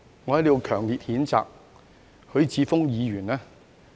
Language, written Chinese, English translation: Cantonese, 我在此要強烈譴責許智峯議員。, Here I wish to express strong condemnation against Mr HUI Chi - fung